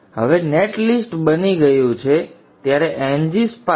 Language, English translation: Gujarati, Now that the net list has created, NG Spice Forward